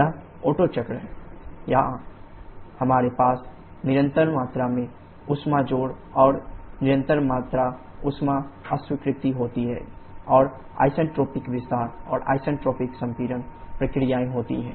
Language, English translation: Hindi, This is the Otto cycle where we have constant volume heat addition and constant volume heat rejection, and isentropic expansion and isentropic compression processes